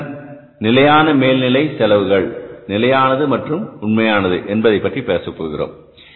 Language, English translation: Tamil, And then we are talking about the fixed overheads, standard and actual